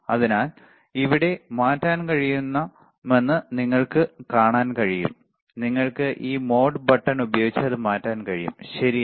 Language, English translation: Malayalam, So, you can see you can change the selection, you can bring it or you with this mode button, you can change it, right